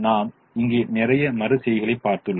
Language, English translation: Tamil, i have shown a lot of iterations here